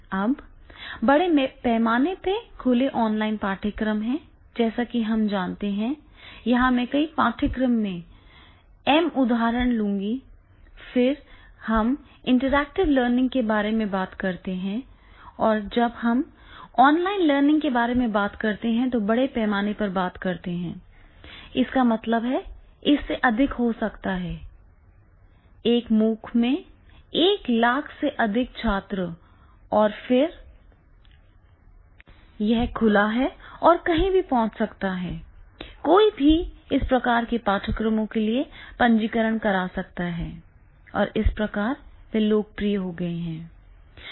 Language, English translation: Hindi, Now there are the massive open online courses as we know, like here I will take these same examples of the certain courses and then when we talk about the intellectual learning or when we are talking about the online learning, then we are talking about the messu, there may be the more than 1 lakh students plus in a MOOC and then the open anyone can access from anywhere and can register for this type of the courses and therefore these are becoming very, very popular